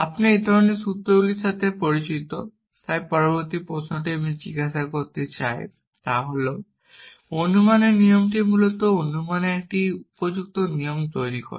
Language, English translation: Bengali, You are familiar with this kind of formulas, so the next question I want to ask is what makes a rule of inference a suitable rule of inference essentially